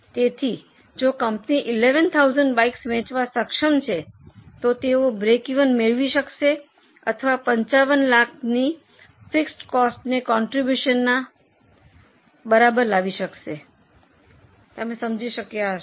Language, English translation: Gujarati, So, if the company is able to sell 11,000 bikes, they would just be able to break even or they would just have enough contribution to match the fixed cost of 55 lakhs